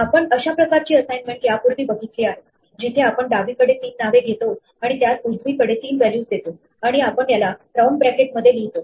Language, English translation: Marathi, We have seen this kind of simultaneous assignment, where we take three names on the left and assign them to three values in the right, and we enclose these in these round brackets